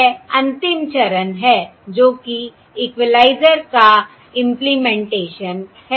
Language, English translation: Hindi, That is the last step, that is, that is the implementation of the equaliser